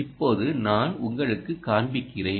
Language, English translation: Tamil, so let me show you this